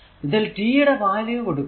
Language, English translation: Malayalam, So, at t is equal to 0